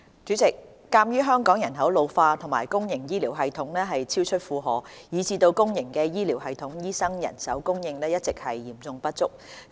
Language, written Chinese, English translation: Cantonese, 主席，鑒於香港人口老化和公營醫療系統超出負荷，以致公營醫療系統醫生人手供應一直嚴重不足。, President owing to an ageing population and an over - burdened public health care system the shortfall in the supply of doctors has been serious in the public sector